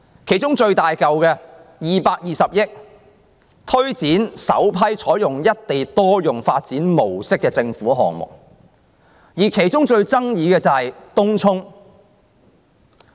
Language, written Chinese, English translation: Cantonese, 其中獲撥款金額最大的，是推展首批採用"一地多用"發展模式的政府項目，而最受爭議的是東涌。, One item that receives the biggest amount of funding 22 billion is the first batch of government projects under the single site multiple use initiative the most controversial of which is in Tung Chung